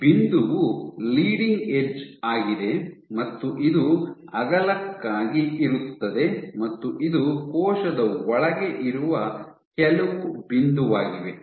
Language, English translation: Kannada, So, this point is the Leading edge and this is for the width it is some point which is inside the cell